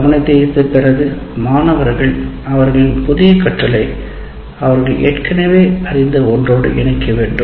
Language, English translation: Tamil, And the next thing is after getting the attention, the students need to be able to link their new learning to something they already know